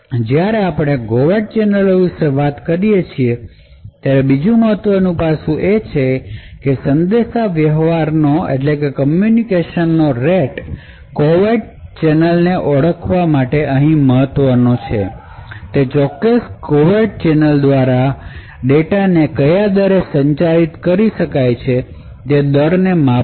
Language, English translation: Gujarati, Another important aspect when we talk about coming about covert channels is the communication rate or to quantify that covert channel here what is important for us is to measure the rate at which data can be communicated through that particular covert channel